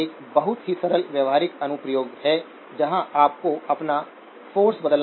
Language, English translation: Hindi, So this is a very simple practical application where you would have your force to convert